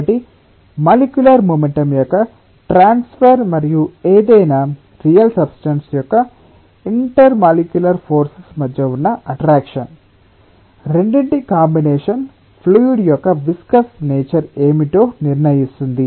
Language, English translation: Telugu, it is not just transfer of molecular momentum, so a combination of transfer of molecular momentum and the intermolecular forces of attraction for any real substance will determine that what should be the viscous nature of the fluid